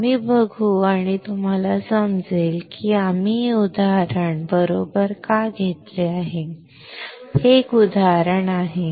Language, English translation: Marathi, We will see and you will understand why we have taken this example right, this is an example